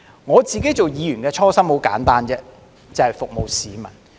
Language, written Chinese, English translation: Cantonese, 我作為議員的初心很簡單，就是服務市民。, The original aspiration I pursue as a Member is simply to serve the public